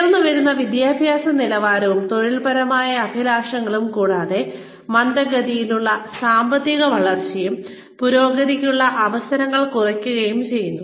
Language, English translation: Malayalam, Rising educational levels and occupational aspirations, coupled with slow economic growth, and reduced opportunities, for advancement